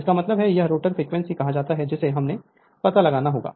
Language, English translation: Hindi, That means, it is your what you call rotor frequency that is that you have to find out